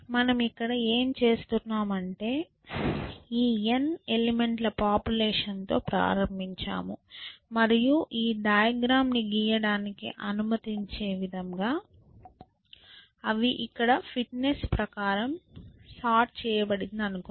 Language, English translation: Telugu, So, what are we doing here is that we started with this population of n elements, and let us assume that they are sorted according to the fitness here just for sake of allowing me to draw this diagram